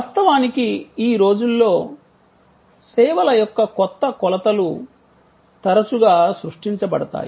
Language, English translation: Telugu, And of course, new dimension of services are often created these days